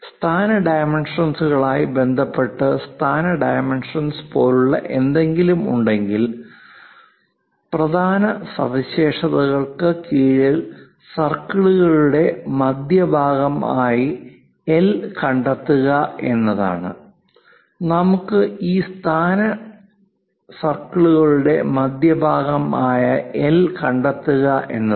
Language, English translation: Malayalam, If there are something like position dimensions with respect to position dimensions locate L the center of circles under the key features